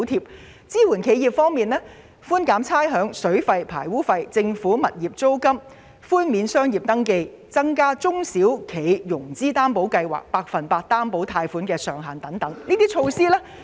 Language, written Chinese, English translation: Cantonese, 企業支援方面，預算案建議寬減差餉、水費、排污費及政府物業租金；寬免商業登記，以及調高中小企融資擔保計劃百分百擔保貸款的上限等。, In respect of enterprise support the Budget has proposed to provide rates concession waive water and sewage charges payable and grant rental concession to tenants of government properties; waive the business registration fees; and increase the maximum loan amount which is 100 % guaranteed by the Government under the SME Financing Guarantee Scheme etc